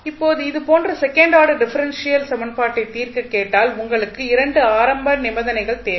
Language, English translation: Tamil, Now, if you are asked to solve such a second order differential equation you require 2 initial conditions